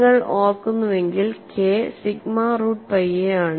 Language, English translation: Malayalam, If I remember K equal to sigma root by a by putting 1